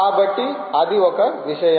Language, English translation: Telugu, so that is one thing